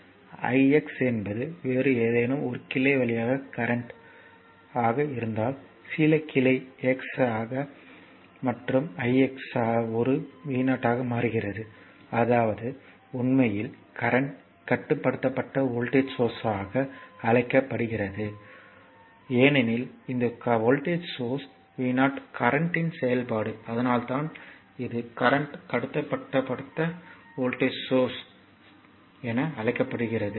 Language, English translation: Tamil, If the i x is the current through some other branch some branch x a and i x is changing to a v 0 is changing; that means, it is a it is actually called current controlled voltage source because these voltage source v 0 is function of the current, that is why it is called current controlled voltage source CCVS in short it is voltage controlled voltage source VCVS right